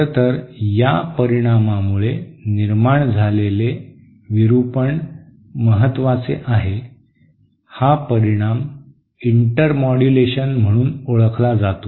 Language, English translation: Marathi, In fact, so significant is this distortion produced by this effect this intermodulation, this effect is known as intermodulation